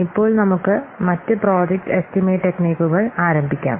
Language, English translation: Malayalam, Now let's start the other project estimation techniques